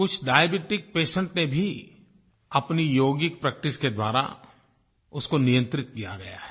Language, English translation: Hindi, Some diabetic patients have also been able to control it thorough their yogic practice